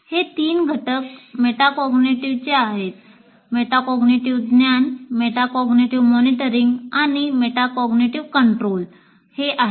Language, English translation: Marathi, The three elements are metacognitive knowledge, metacognitive monitoring and metacognitive control